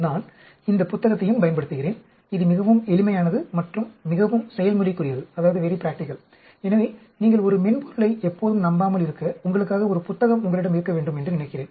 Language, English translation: Tamil, I do make use of this book also, this is quite simple and very practical and so, I think you should have a book for yourself so that you do not just rely on a software all the time